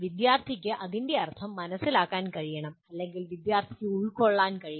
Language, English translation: Malayalam, Student should be able to understand what it means or the student should be able to comprehend